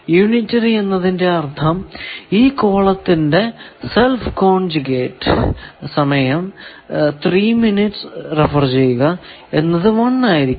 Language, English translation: Malayalam, So, we know that unitary means any column is self conjugate will be 1